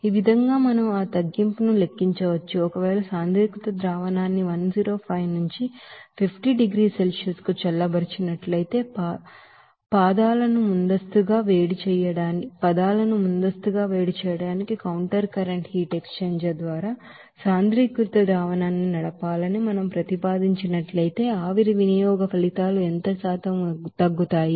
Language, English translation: Telugu, So here in this way we can calculate that reduction that is what percentage decrease of steam consumption results if that we propose to run the concentrated solution through a counter current heat exchanger to preheat the feet, if the concentrated solution is thus cooled from 105 to 50 degree Celsius